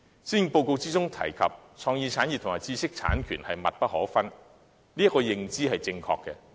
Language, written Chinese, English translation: Cantonese, 施政報告提到創意產業和知識產權密不可分，這項認知是正確的。, It is mentioned in the Policy Address that creative industries and intellectual property right are inseparable . This is a correct perception